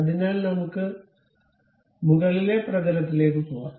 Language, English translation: Malayalam, So, let us go to top plane